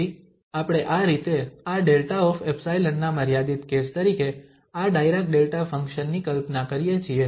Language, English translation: Gujarati, So, this is how we imagine this Dirac Delta function as the limiting case of this delta epsilon